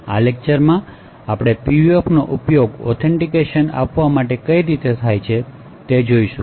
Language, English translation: Gujarati, In this lecture we will be looking at the use of PUFs to provide authentication